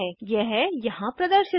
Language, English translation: Hindi, This is shown here